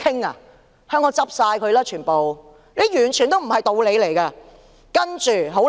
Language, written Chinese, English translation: Cantonese, 那麼香港全部公司都會倒閉，這完全不是道理。, If this is the case all companies in Hong Kong will close down then . It is totally unreasonable